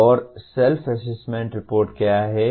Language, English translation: Hindi, And what is Self Assessment Report